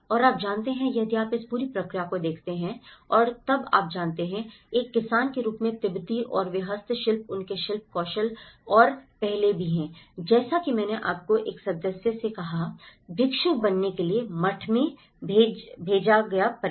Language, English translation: Hindi, And you know, if you look at this whole process and then you know, Tibetans as a farmers and they are also the handicrafts, their craftsmanship and earlier, as I said to you one member of the family sent to the monastery to become a monk